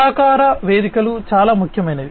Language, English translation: Telugu, Collaboration platforms are very important